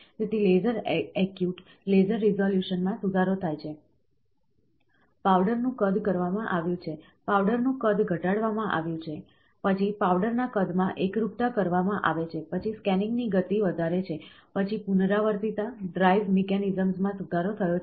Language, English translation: Gujarati, So, the laser acute, the laser resolutions are improved, the powder size has been, has the powder size is been reduced, then uniformity in powder size is done, then led to the scanning speeds are become high, then the repeatability, the drive mechanisms have improved